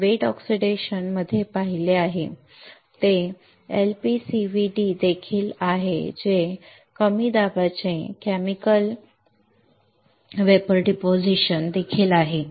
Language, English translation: Marathi, That we have seen in the wet oxidation that is also LPCVD that is also Low Pressure Chemical Vapor Deposition